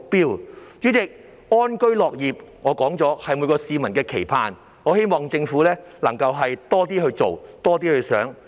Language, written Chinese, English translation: Cantonese, 代理主席，安居樂業是每位市民的期盼，我希望政府能夠多做一些、多想一些。, Deputy President to live and work in contentment is the aspiration of everyone . I hope that the Government can do more and think more